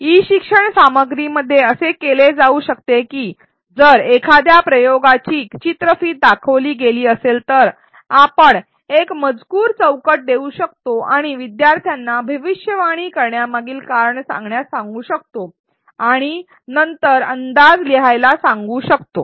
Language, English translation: Marathi, In e learning content what can be done is that if a video of an experiment is shown, we can give a textbox and ask students to articulate the reasons for making a prediction and then write down the prediction